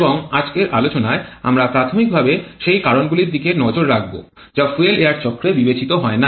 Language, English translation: Bengali, And in today's lecture we shall be looking primarily to those factors which are not considered in fuel air cycle as well